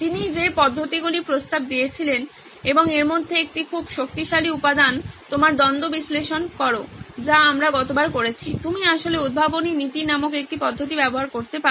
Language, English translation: Bengali, One of the methods that he suggested and a very powerful one at that is one of the components is after you do your conflict analysis which we did last time, you can actually use one of the methods called inventive principles